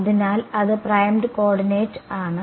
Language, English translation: Malayalam, So, that is primed coordinate